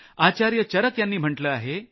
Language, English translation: Marathi, Acharya Charak had said…